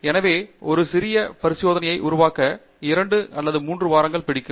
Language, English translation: Tamil, So, just making a small experimental setup may take you like 2 3 weeks